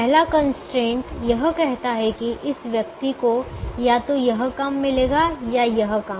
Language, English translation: Hindi, the first constraint will say that this person will get either this job or this job, or this job